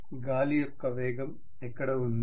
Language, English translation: Telugu, Where is the velocity of the wind